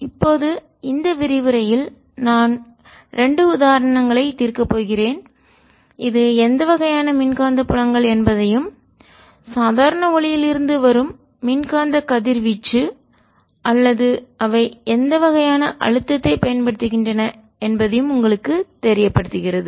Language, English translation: Tamil, now in this lecture i am going to solve two examples to give you an idea what the kind of electromagnetic fields, etcetera are related with electromagnetic radiation coming out of, of ordinary light, or also what kind of pressure to they apply